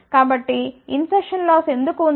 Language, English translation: Telugu, So, why there is a insertion loss